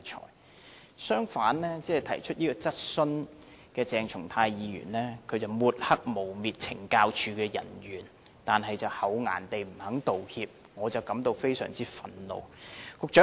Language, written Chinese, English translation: Cantonese, 另一方面，提出這項質詢的鄭松泰議員抹黑和誣衊懲教署人員，卻厚顏地不肯道歉，我對此感到非常憤怒。, On the other hand Dr CHENG Chung - tai who asked this question has smeared and vilified the officers of the Correctional Services Department but shamelessly refused to tender apologies . I feel very angry about it